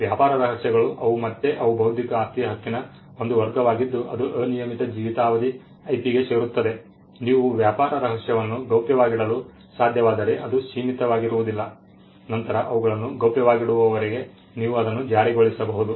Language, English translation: Kannada, Trade secretes they are again they are a category of an intellectual property right which fall within the unlimited life IP, they are not limited by if you can keep the trade secret a confidential then you can enforce it as long as they are kept confidential